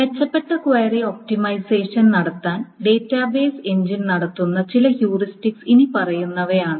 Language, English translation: Malayalam, So some of the heuristics that the database engine performs to do better query optimization is the following